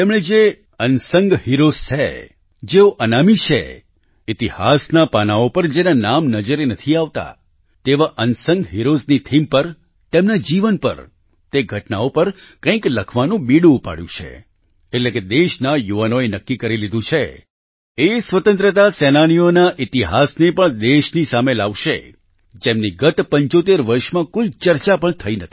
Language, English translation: Gujarati, They have taken the lead to write something on those who are unsung heroes, who are unnamed, whose names don't appear on the pages of history, on the theme of such unsung heroes, on their lives, on those events, that is the youth of the country have decided to bring forth the history of those freedom fighters who were not even discussed during the last 75 years